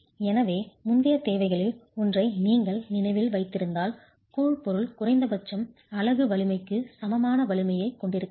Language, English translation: Tamil, So, if you remember one of the earlier requirements was that the grout material must have a strength at least equal to the unit strength